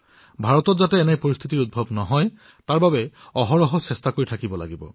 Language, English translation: Assamese, In order to ensure that India does not have to face such a situation, we have to keep trying ceaselessly